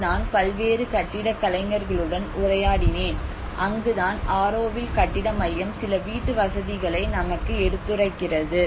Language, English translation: Tamil, I was interacting with various architects and that is where the Auroville building centre is proposing up some housing options